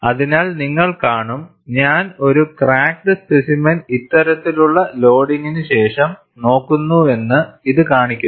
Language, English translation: Malayalam, So, you will see, this only shows, that I am looking at a crack specimen, after this kind of loading